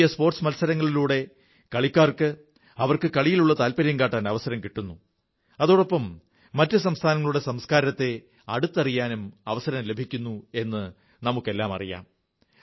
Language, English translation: Malayalam, We all know that National Games is an arena, where players get a chance to display their passion besides becoming acquainted with the culture of other states